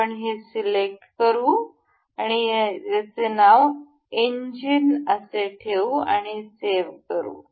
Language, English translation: Marathi, So, we will select this we will name this as engine and we will save